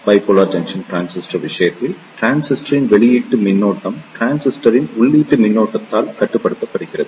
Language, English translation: Tamil, In case of Bipolar Junction Transistor, the output current of the transistor is controlled by the input current of the transistor